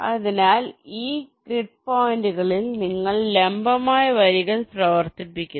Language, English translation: Malayalam, so so, on these grid points, you run perpendicular lines